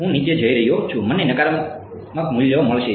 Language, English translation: Gujarati, I am going down I am going to get negative values